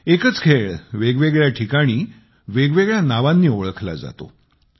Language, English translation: Marathi, A single game is known by distinct names at different places